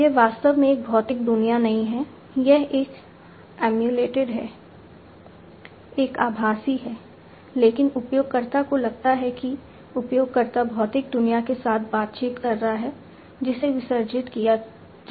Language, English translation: Hindi, It is actually not a physical world, it is an emulated one, a virtual one, but the user feels that user is interacting with the physical world, which is being immolated